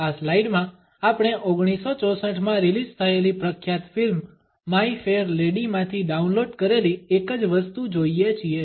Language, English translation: Gujarati, In this slide we look at a same downloaded from the famous movie My Fair Lady which was released in 1964